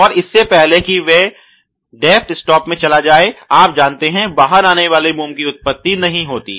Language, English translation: Hindi, And before it has gone into that depth stop region, you know there is no emanation of the wax which comes out